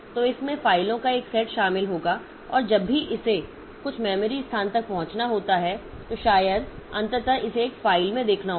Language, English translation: Hindi, So, it will consist of a set of files and the whenever it has to access some memory location, so maybe ultimately it has to look into a file